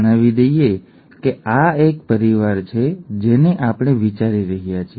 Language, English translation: Gujarati, Let us say that this is a family that we are considering